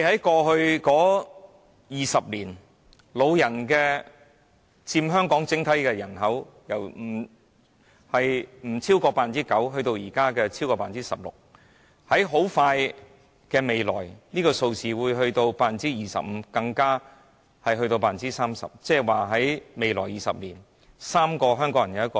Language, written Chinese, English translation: Cantonese, 過去20年，長者佔香港整體人口由低於 9% 上升至現時超過 16%， 而這數字在不久的將來更會上升至 25% 甚至 30%。, Over the past 20 years the proportion of elderly persons in the total population has risen from below 9 % to over 16 % at present and will further increase to 25 % or even 30 % in the near future